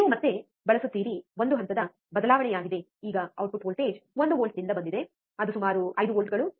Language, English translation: Kannada, You use again there is a phase shift the output voltage now is from one volts, it is about 5 volts